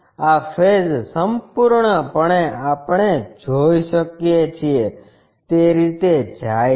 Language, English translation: Gujarati, This face entirely we can see, goes in that way